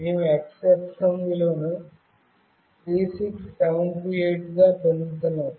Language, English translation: Telugu, We are getting the x axis value as 36728